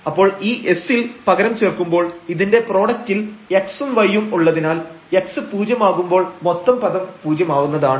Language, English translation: Malayalam, So, when we substitute in this s, since there is a term x and y here in the product when x is 0 the whole term will become 0